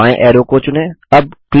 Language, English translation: Hindi, Lets select the left most arrow